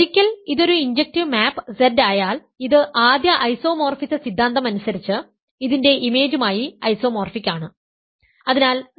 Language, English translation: Malayalam, Once it is an injective map Z is isomorphic its image by the first isomorphism theorem